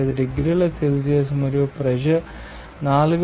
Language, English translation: Telugu, 0075 degrees Celsius and pressure is 4